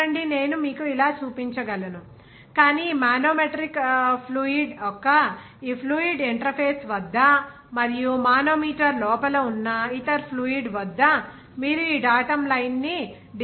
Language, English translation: Telugu, See, I can show you like this, but you can conveniently decide this datum line here at this fluid interface of this manometric fluid and the other fluid inside the manometer